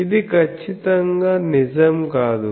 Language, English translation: Telugu, , so, this is true